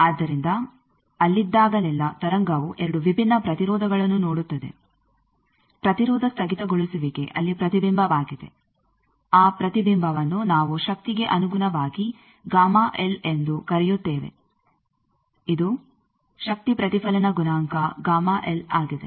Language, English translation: Kannada, So, whenever there is we have seen that the wave sees 2 different impedances; impedance discontinuity there is a reflection that reflection we are calling gamma L in terms of power, this is power reflection coefficient gamma l